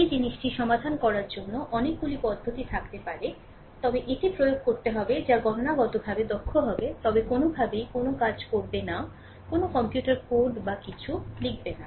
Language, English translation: Bengali, There may be many method for solving such this thing, but we have to apply which will be computationally efficient, but any way we will not do any we will not write any computer code or anything